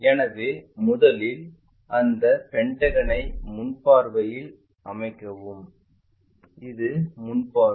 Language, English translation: Tamil, So, first of all construct that pentagon in the front view and we are looking this is the front view